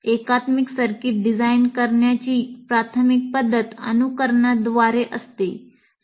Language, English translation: Marathi, So the main method of designing an integrated circuit is through simulation